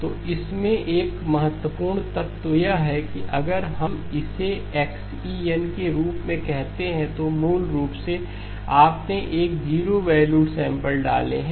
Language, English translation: Hindi, So the important element in this one is if we called this as xE of n, basically you have inserted a zero valued samples